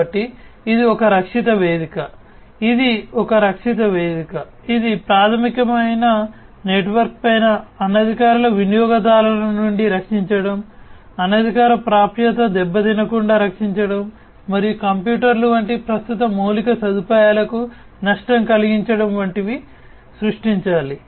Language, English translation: Telugu, So, it is a protective platform, it is a protective platform that will have to be created on top of the basic network, for protecting from unauthorized users, protecting from damage unauthorized access, and damage to the existing infrastructure like computers etcetera and so on